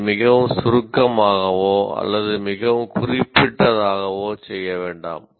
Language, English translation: Tamil, In the same way, do not make it either too abstract or too specific